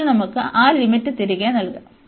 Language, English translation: Malayalam, And now we can put that limit back